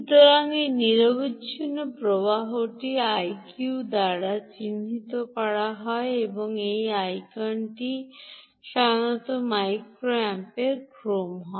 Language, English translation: Bengali, so this quiescent current is denoted by i q and this i q is indeed typically in the order of micro amps, ah